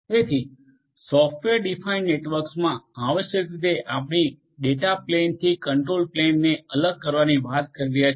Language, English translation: Gujarati, So, in a software defined network essentially we are talking about separating out the control plane from the data plane